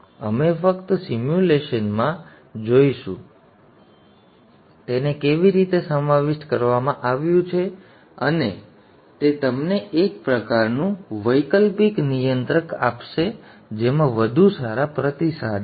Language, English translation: Gujarati, We shall just see this in simulation also, how it is incorporated and that would give you a kind of an alternate controller which has better responses